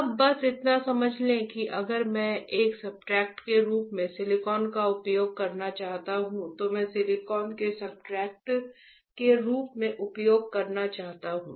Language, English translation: Hindi, Now just understand that, if I can if I want to use silicon as a substrate, I want to use glass as a substrate